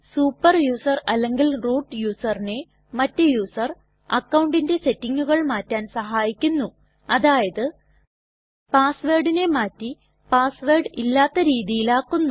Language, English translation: Malayalam, The usermod command Enables a super user or root user to modify the settings of other user accounts such as Change the password to no password or empty password